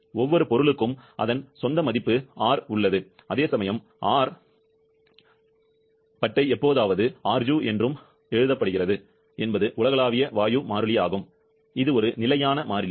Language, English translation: Tamil, Every substance has its own value of R, whereas R bar occasionally also written as Ru is the universal gas constant which is a universal constant, now what is the value of the universal gas constant